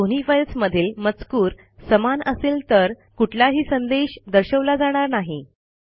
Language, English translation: Marathi, If the two files have exactly same content then no message would be shown